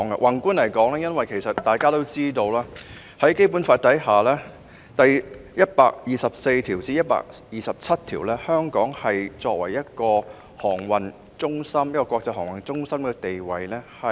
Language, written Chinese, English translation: Cantonese, 宏觀而言，大家皆知道，《基本法》第一百二十四條至第一百二十七條確立了香港作為國際航運中心的地位。, From a macro perspective it is a well - known fact that Articles 124 to 127 of the Basic Law have established Hong Kongs position as an international shipping hub